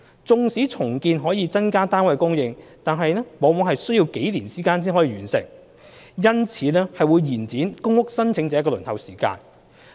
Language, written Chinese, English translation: Cantonese, 縱使重建可增加單位供應，但是往往需要數年方可完成，因此會延長公屋申請者的輪候時間。, Even though redevelopment when completed will increase the supply of flats it will take a few years and lengthen PRH applicants waiting time as a result